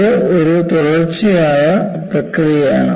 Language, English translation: Malayalam, So, it is a successive process